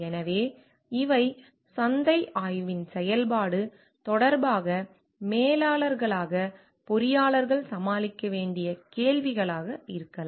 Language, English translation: Tamil, So, these could be questions that engineers as managers may need to tackle with respect to the function of market study